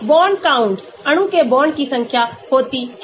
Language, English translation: Hindi, bond counts; number of bonds the molecule has